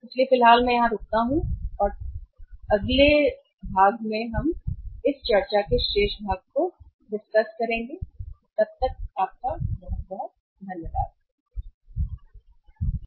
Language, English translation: Hindi, So, at the moment I stop here and the remaining part of discussion we will do in the next thank you very much